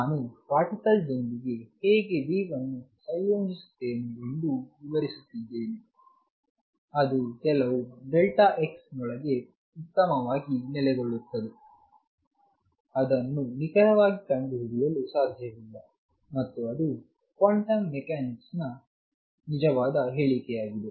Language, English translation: Kannada, What I am saying is if I associate how wave with the particle, it can best be located within some delta x it cannot be located precisely, and that is a quantum mechanical true statement